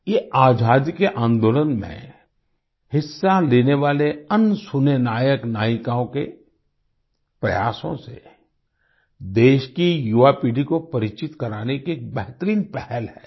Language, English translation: Hindi, This is a great initiative to acquaint the younger generation of the country with the efforts of unsung heroes and heroines who took part in the freedom movement